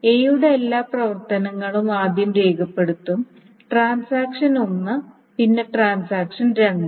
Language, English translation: Malayalam, So first all the operations of transaction one and then those of transaction two